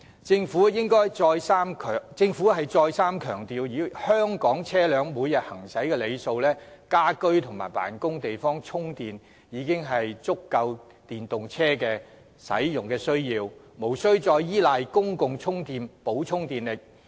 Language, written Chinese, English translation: Cantonese, 政府再三強調，以香港車輛每日行駛的里數而言，家居或辦公室的充電設施已足以應付電動車的需要，無須再依賴公共充電設施以補充電力。, The Government has repeatedly emphasized that judging from the daily mileage of vehicles in Hong Kong charging facilities provided in domestic premises or offices should be adequate to cope with the demand of EVs and there is no need to rely on additional electricity supplied by public charging facilities